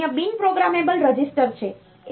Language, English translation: Gujarati, There are some other non programmable registers